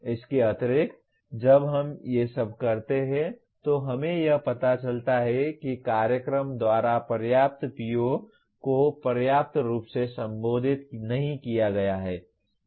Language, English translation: Hindi, In addition to this, when we do all these we may find certain POs are not adequately addressed by the program